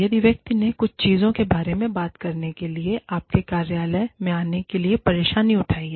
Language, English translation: Hindi, If the person has taken the trouble, to come to your office, to talk to you, about certain things